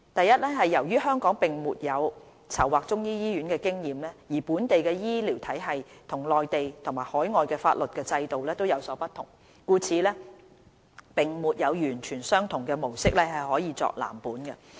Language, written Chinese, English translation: Cantonese, 一由於香港並沒有籌劃中醫醫院的經驗，而本地的醫療體系與內地及海外的法律和制度有所不同，故此並沒有完全相同的模式可作藍本。, 1 As there is no relevant experience in Hong Kong in planning the development of a Chinese medicine hospital and the health care system of Hong Kong is different from those in the Mainland and overseas countries in terms of legal and regulatory regimes there is no identical precedent to model on